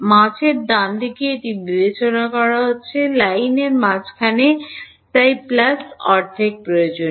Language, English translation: Bengali, It is being discretized in the middle right; middle of the line so that is why the plus half is necessary